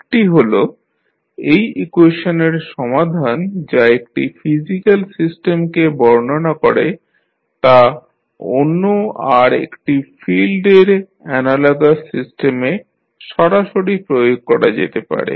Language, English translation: Bengali, One is that, the solution of this equation describing one physical system can be directly applied to the analogous system in another field